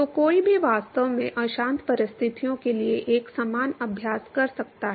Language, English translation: Hindi, So, one could actually do a similar exercise for turbulent conditions